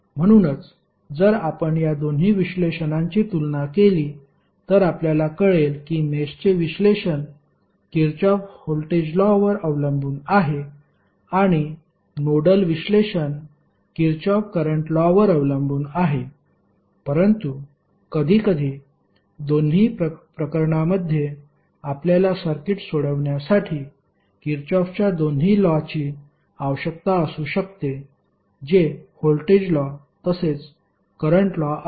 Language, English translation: Marathi, So, if you compare both of the analysis you will come to know that mesh analysis is depending upon Kirchhoff Voltage Law and nodal analysis is depending upon Kirchhoff Current Law but sometimes in both of the cases you might need both of the Kirchhoff’s Laws that is voltage law as well as current law to solve the circuit